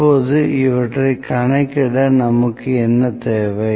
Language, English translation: Tamil, Now, what we need to do to calculate these